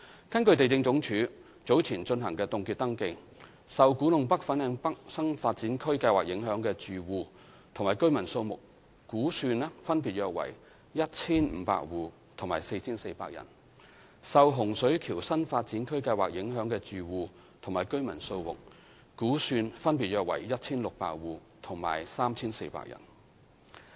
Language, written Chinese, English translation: Cantonese, 根據地政總署早前進行的凍結登記，受古洞北/粉嶺北新發展區計劃影響的住戶及居民數目估算分別約為 1,500 戶及 4,400 人；受洪水橋新發展區計劃影響的住戶及居民數目估算分別約為 1,600 戶及 3,400 人。, According to the freezing surveys conducted by the Lands Department LandsD earlier the estimated numbers of households and residents affected by KTNFLN NDAs Project are about 1 500 and 4 400 respectively; and the numbers of households and residents affected by HSK NDA Project are about 1 600 and 3 400 respectively